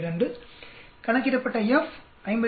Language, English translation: Tamil, 32 F calculated 57